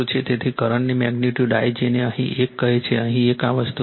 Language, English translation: Gujarati, So, magnitude of the current I your what you call here one, here one this thing is there